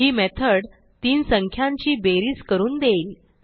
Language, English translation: Marathi, So this method will give sum of three numbers